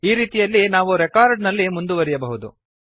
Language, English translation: Kannada, This way we can traverse the records